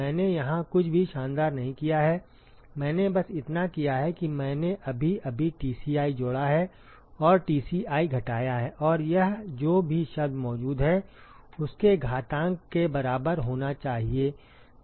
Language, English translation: Hindi, I have not done anything spectacular here all I have done is I have just added Tci and subtracted Tci and that should be equal to the exponential of whatever term that present about that goes